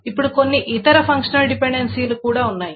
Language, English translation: Telugu, Now there are some other functional dependencies as well